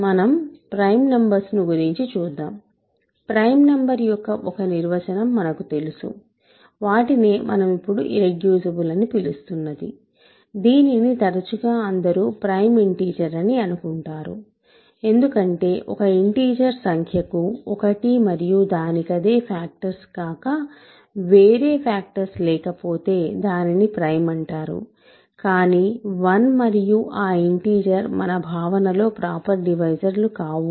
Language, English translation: Telugu, See prime numbers of course, we know it is a one definition of prime number is that what we are now calling irreducible is often what people think of as prime integer because a number an integer is prime if it has no factors other than one and that integer, but one and that integer in our notation are not proper divisors